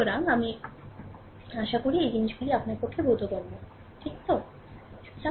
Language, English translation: Bengali, So, I hope this things is understandable to you, right